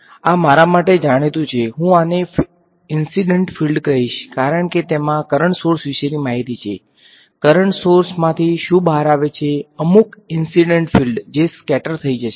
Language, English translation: Gujarati, So, this is known to me I am going to call this the it like the incident field because it has information about the current source, what comes out from a current source some incident field which is going to get scattered right